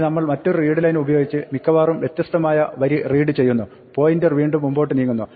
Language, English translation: Malayalam, Now, we do another readline possibly of different line again the point to move forward